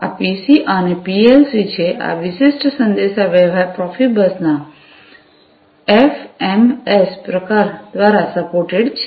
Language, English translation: Gujarati, So, this is PCs and PLCs, this particular communication is supported by the FMS variant of Profibus